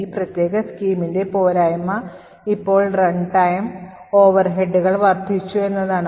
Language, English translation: Malayalam, The drawback of this particular scheme is that now the runtime overheads have increased